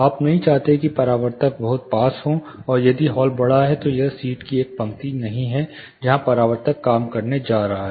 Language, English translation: Hindi, You do not want the reflectors to be too close plus if the hall is large, it is not this one row of seat where the reflector is going to cater